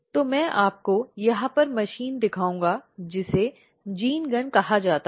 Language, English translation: Hindi, So, I will just show you the machine over here which is called as gene gun